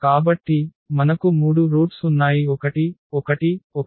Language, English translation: Telugu, So, we have these 3 roots; so, 1 1 1